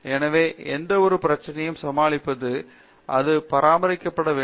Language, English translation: Tamil, So that, any issues come it should be maintained up